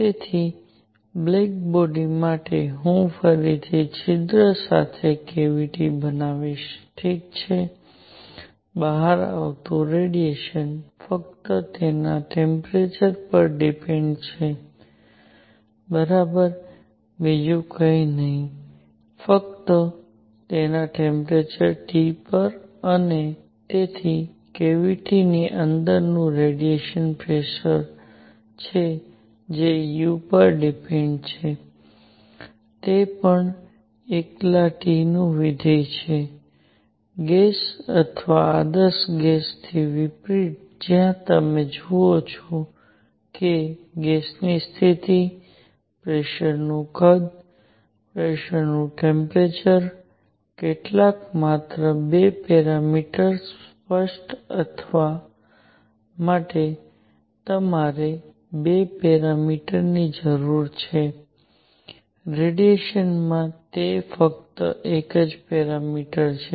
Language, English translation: Gujarati, So, for a black body which I will again make a cavity with a hole, ok, the radiation coming out depends only on its temperature, right, nothing else only on its temperature T and therefore, radiation pressure inside the cavity that depends on u is also a function of T alone; unlike the gas or ideal gas where you see that you need 2 parameters to specify the state of gas, pressure volume, pressure temperature, some just 2 parameters; in radiation, it is only one parameter